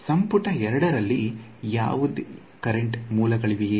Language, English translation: Kannada, In volume 2, was there any current source